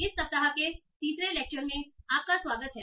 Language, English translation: Hindi, So welcome to the third lecture of this week